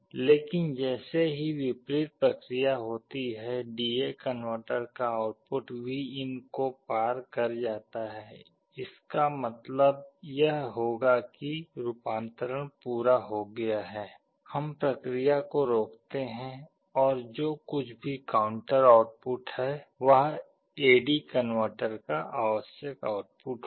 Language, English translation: Hindi, But as soon as the reverse happens, the output of the DA converter crosses Vin, this will mean that the conversion is complete, we stop, and whatever is the counter output will be the required output of the A/D converter